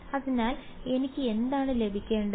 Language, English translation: Malayalam, So, what should I get